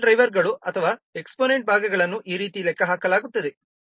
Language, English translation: Kannada, The scale drivers or the exponent parts are computed like this